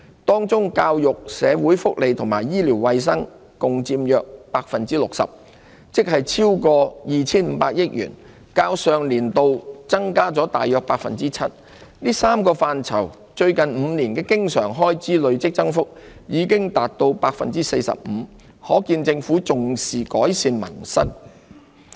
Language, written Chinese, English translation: Cantonese, 當中教育、社會福利和醫療衞生共佔約 60%， 即超過 2,500 億元，較上年度增加約 7%， 這3個範疇最近5年的經常開支累積增幅已達 45%， 可見政府重視改善民生。, The estimated recurrent expenditure on education social welfare and health care accounts for about 60 % of the sum exceeding 250 billion in total and an increase of about 7 % over the previous financial year . Recurrent expenditure in these three areas recorded a cumulative increase of 45 % over the past five years bearing testimony to the importance attached by the Government to improving peoples livelihood